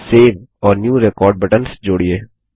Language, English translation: Hindi, Add Save and New record buttons